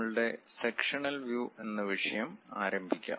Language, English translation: Malayalam, Let us begin our sectional views topic